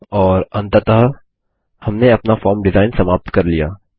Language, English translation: Hindi, And finally, we are done with our Form design